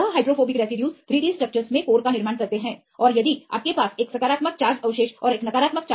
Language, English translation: Hindi, This hydrophobic residues tend to form the core in the 3 D structures; and if you have one positive charge residue and negative charge residues which are very close in sequence